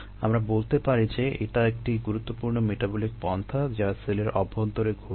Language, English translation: Bengali, let us say that this is, uh, some important metabolic pathway that is happening in the cell